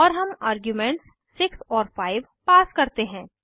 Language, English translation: Hindi, And we pass 42 and 5 as arguments